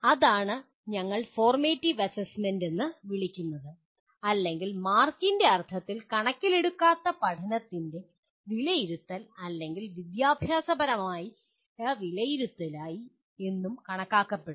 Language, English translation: Malayalam, And that is what we call as formative assessment or it is also considered assessment of learning or educative assessment in the sense that no marks are given